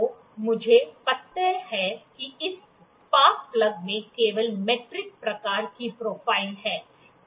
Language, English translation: Hindi, So, I know that this spark plug is having metric type of profile only